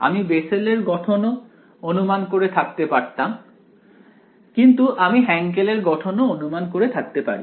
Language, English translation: Bengali, I could have assume the Bessel form, but I can as well as assume the Hankel form